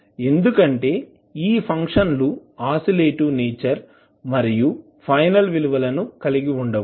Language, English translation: Telugu, Because these functions are oscillatory in nature and does not have the final values